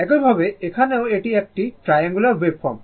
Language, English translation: Bengali, Similarly, here also it is a it is a triangular wave form